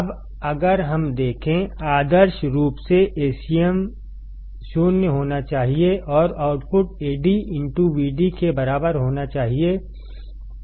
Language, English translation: Hindi, Now if we see; ideally A cm must be 0 and output should be equal to Ad intoVd only